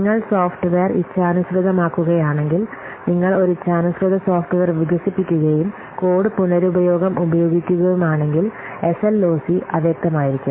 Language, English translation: Malayalam, Similarly, custom software and reuse if you are customizing the software, if you are developing a customized software and you are using code reuse then SLOC may be ambiguous